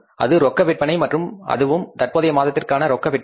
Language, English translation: Tamil, That is the cash sales and that too in the current month